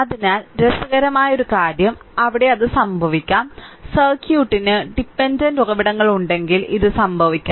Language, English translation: Malayalam, So, but one interesting thing is, there it may happen, it may happen that for the this may happen if the circuit has your dependent sources